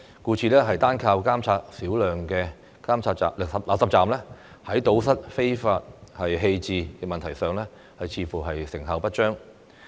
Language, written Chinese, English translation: Cantonese, 故此，單靠監察少量垃圾站，在堵塞非法棄置問題上，似乎成效不彰。, Therefore it seems that the problem of illegal waste disposal cannot be effective solved only by monitoring a small number of RCPs